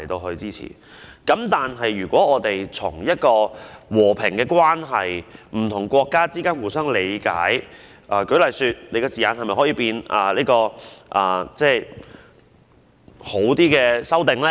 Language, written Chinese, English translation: Cantonese, 反之，我們應從和平關係、不同國家互相理解的角度看，是否可以對議案的字眼作出較好的修訂呢？, On the contrary we should look at it from the perspective of a peaceful relationship and mutual understanding among countries and see if we can amend the motion using better wording